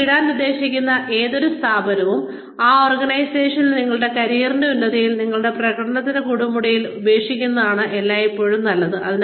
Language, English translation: Malayalam, It is always best to leave any organization that you plan to leave, at the peak of your career, at the peak of your performance, in that organization